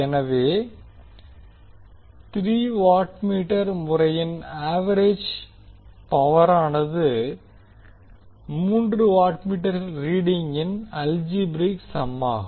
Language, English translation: Tamil, So the total average power in the case of three watt meter method will be the algebraic sum of three watt meter readings